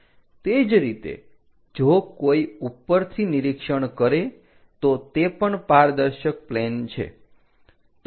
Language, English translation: Gujarati, Similarly, if someone is observing from top that is also transparent plane